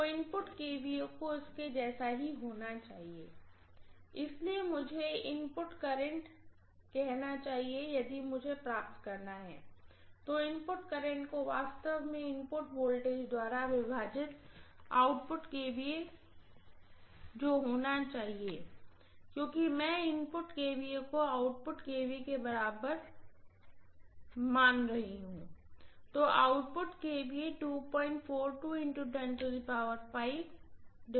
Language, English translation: Hindi, So input kVA has to be an exactly same as this, so I should say input current if I have to derive, input current has to be actually whatever is the output kVA divided by input voltage because I am assuming input kVA equal to output kVA, right